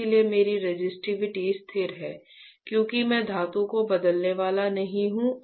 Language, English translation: Hindi, So, my resistivity is constant right because I am not going to change the metal